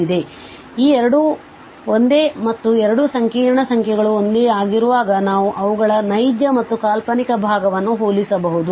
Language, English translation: Kannada, So, these two are same that and when two complex numbers are same, so we can compare their real and imaginary part